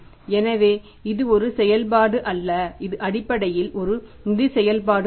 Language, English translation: Tamil, So that is not the operating activity that is basically a financing activity